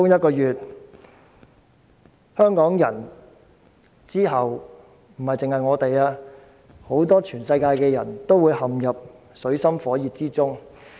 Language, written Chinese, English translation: Cantonese, 不止香港人，全世界很多人之後也會陷入水深火熱之中。, Not only Hong Kong people but also many people in the rest of the world will be left in the lurch